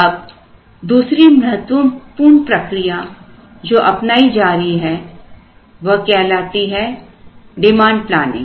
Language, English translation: Hindi, Now, another important thing is that being done is what is called demand planning